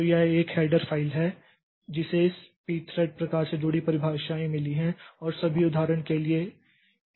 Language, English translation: Hindi, So, this is the header file that has got the definitions associated with this p thread types and all